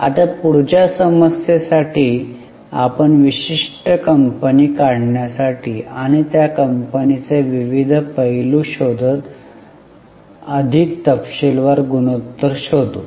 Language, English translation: Marathi, Now, in the next problem we will go for more detailed ratio taking out a particular company and looking for variety of aspects of that company